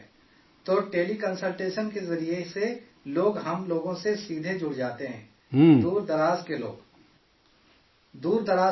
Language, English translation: Urdu, So through Tele Consultation, we connect directly with people…